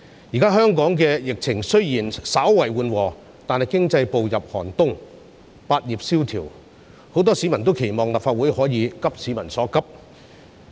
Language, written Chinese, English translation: Cantonese, 現時香港的疫情雖然稍為緩和，但是，經濟步入寒冬，百業蕭條，很多市民均期望立法會可以急市民所急。, Although the epidemic situation in Hong Kong has slightly eased off now the economy has stepped into a severe winter . Business is slack in all trades . Many members of the public expect the Legislative Council to share the peoples urgent concern